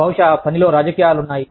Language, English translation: Telugu, Maybe, there is politics at work